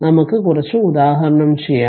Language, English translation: Malayalam, So, we will take some example